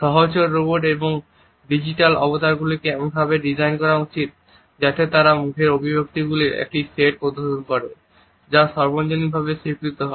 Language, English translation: Bengali, Should companion robots and digital avatars be designed in such a fashion that they display a set of facial expressions that are universally recognized